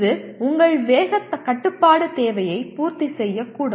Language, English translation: Tamil, It may meet your speed control requirement